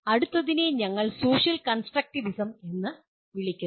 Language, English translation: Malayalam, Then came what we call “social constructivism”